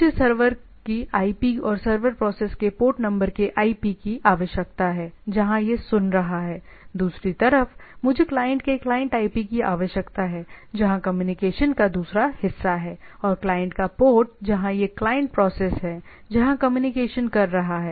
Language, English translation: Hindi, So, I require the IP of the server and IP of the port number of the server process where it is listening, on the other hand, I require a client IP of the client right, where the communication is other part of the communication and the port of the client, where to which it is the client process is communicating